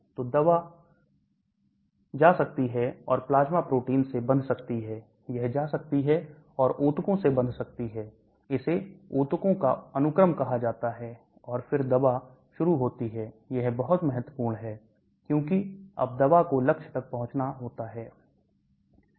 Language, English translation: Hindi, So the drug can go and bind to plasma protein it can go and bind with tissues that, is called tissue sequestration, and then the drug starts, this is very, very important, because then the drug has to reach the target